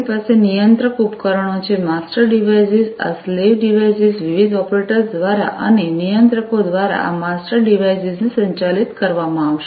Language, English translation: Gujarati, We have the controller devices, the master devices, these slave devices will be operated by different operators and these master devices by the controllers, right